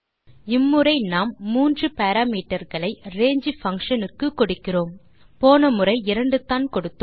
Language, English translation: Tamil, This time we passed three parameters to range() function unlike the previous case where we passed only two parameters